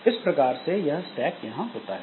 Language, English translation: Hindi, So, that way the stack is there